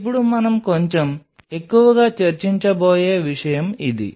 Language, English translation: Telugu, Now this is something we will be discussing little bit more